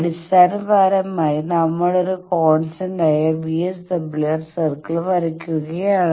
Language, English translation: Malayalam, Basically, we are drawing a constant VSWR circle